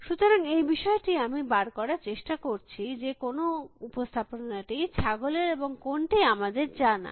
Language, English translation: Bengali, So, that is the thing that I am trying to derive at, what representation is goat and what is known